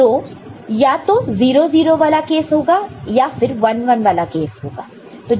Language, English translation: Hindi, So, either 0 0 case is there, or 1 1 case is there